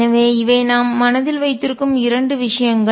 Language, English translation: Tamil, So, these are two things that we keep in mind